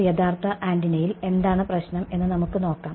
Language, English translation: Malayalam, Let us see what is the problem in a realistic antenna ok